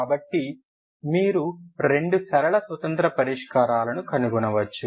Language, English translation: Telugu, So you can find two linearly independent solutions